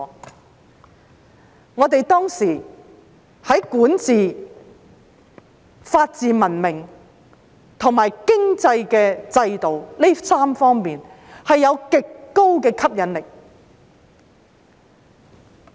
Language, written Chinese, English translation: Cantonese, 因為我們當時在管治、法治文明和經濟制度這3方面具極高吸引力。, It was because we were at that time highly attractive in three aspects namely governance rule - of - law civilization and the economic system